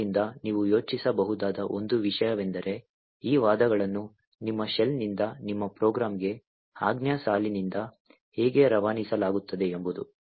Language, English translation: Kannada, So, one thing that you could think about is how are these arguments actually passed from the command line that is from your shell to your program